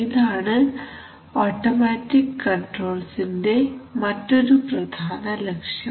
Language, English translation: Malayalam, That is a very important objective of automatic control